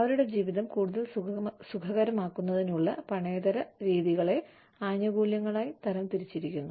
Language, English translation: Malayalam, The non monetary methods of making their lives, more comfortable, are classified as benefit